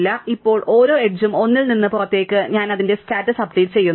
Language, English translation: Malayalam, So, now for each edge going out of 1, I update its status